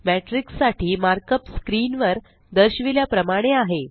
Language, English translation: Marathi, The markup for the matrix is as shown on the screen